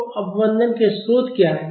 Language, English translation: Hindi, So, what are the sources of damping